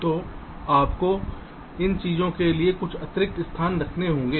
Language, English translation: Hindi, so keep some additional spaces for these things, right